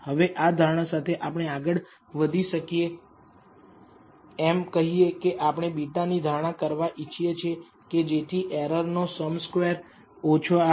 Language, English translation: Gujarati, Now, under this assumption we can go ahead and say we want to find the estimateds of beta so as to minimize the sum square of the errors